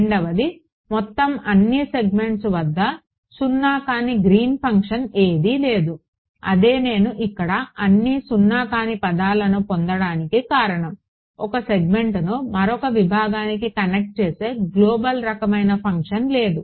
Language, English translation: Telugu, The second thing there is no Green’s function which is non zero overall segments that was it that was the reason why I got all non zero terms here there is no global kind of a function that is connecting 1 segment to another segment